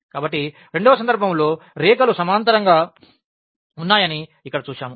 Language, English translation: Telugu, So, here we have seen the in the second case that the lines are parallel